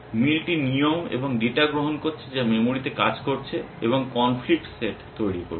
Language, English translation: Bengali, Match is taking rules and data which is working memory and producing the conflicts set